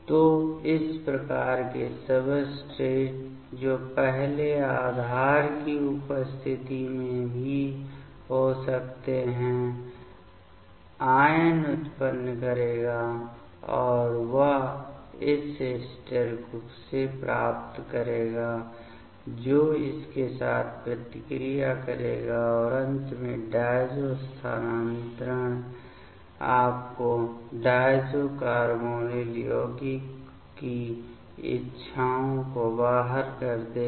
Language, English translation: Hindi, So, this type of substrates that can also first in presence of base; the anion will generate and that will pick up this corresponding from the ester that will react with this and finally, the diazo transfer will give you out the desires diazo carbonyl compound